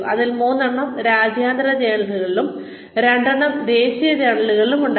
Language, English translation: Malayalam, Out of which, three were in international journals, two were in national journals